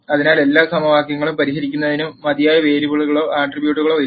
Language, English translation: Malayalam, So, this is the case of not enough variables or attributes to solve all the equations